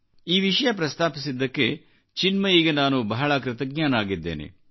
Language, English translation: Kannada, I am extremely thankful to young Chinmayee for touching upon this subject